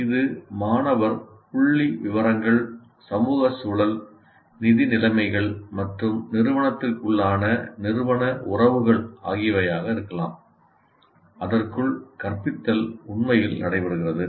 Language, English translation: Tamil, It could be student demographics, social menu, fiscal conditions, and organizational relationships within the institute, within which the instruction actually takes place